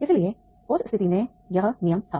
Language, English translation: Hindi, So therefore in that case there was this rule